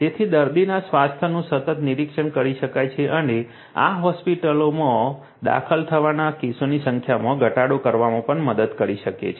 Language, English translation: Gujarati, So, that continuous monitoring of patients health can be done and this can also help in reducing the number of cases of hospitalization